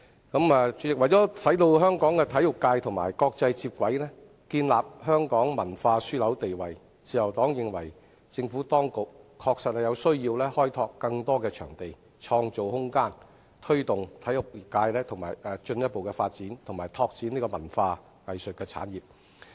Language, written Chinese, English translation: Cantonese, 代理主席，為使香港的體育界與國際接軌、建立香港文化樞紐地位，自由黨認為政府當局確實有需要開拓更多場地、創造空間，推動體育界進一步發展及拓展文化藝術產業。, Deputy President for the sports sector of Hong Kong to be aligned with the world and for Hong Kong to build up its status as a cultural hub the Liberal Party thinks that the Administration has a real need to develop more venues and create room to promote further development of the sports sector and develop the cultural and arts industries